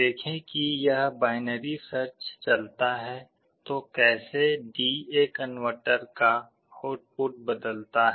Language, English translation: Hindi, See as this binary search goes on, how the output of the D/A converter changes